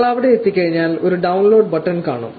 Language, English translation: Malayalam, Once you are there, you will find a download button